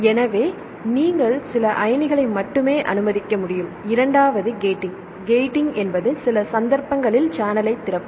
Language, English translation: Tamil, So, you should allow only to some ion and the second one is the gating; gating means for some cases it will open the channel